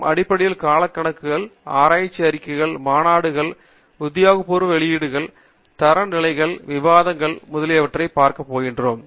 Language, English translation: Tamil, We are basically going to look at periodicals, research reports, conference proceedings, official publications, standards, theses, dissertations, etcetera